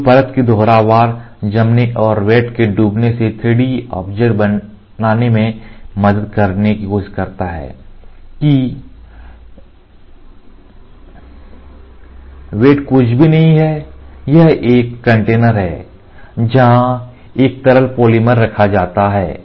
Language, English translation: Hindi, So, the repetitive curing of layer and sinking down of vat tries to help in building a 3D object that vat is nothing, but a container where a liquid polymer is held